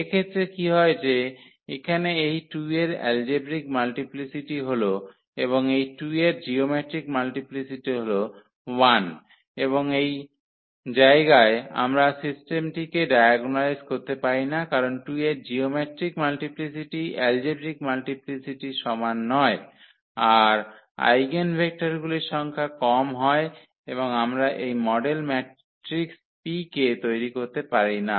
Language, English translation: Bengali, What happens in this case that here this algebraic multiplicity of 2 is 2 and it comes to be that the geometric multiplicity of this 2 is 1 and that is the point where actually we cannot diagnolize the system because geometric multiplicity is not equal to the algebraic multiplicity for this eigenvalue 2 then we will get less number of eigenvectors and we cannot form this model matrix P